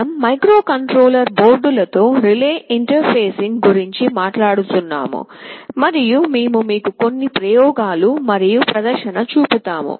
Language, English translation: Telugu, We shall be talking about relay interfacing with microcontroller boards and we shall be showing you some experiments and demonstration